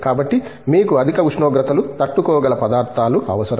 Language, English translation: Telugu, So, you need materials for which can stand extremely high temperatures